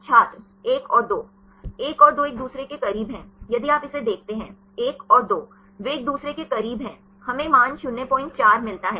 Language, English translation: Hindi, 1 and 2 are close to each other; if you see this one; 1 and 2, they are close to each other; we get the value as 0